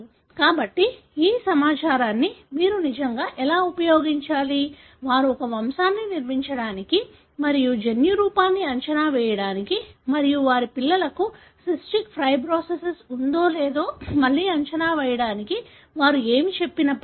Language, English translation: Telugu, So, how do you really use this information, whatever they narrated to build a pedigree and predict the genotype and predict again whether their children would have cystic fibrosis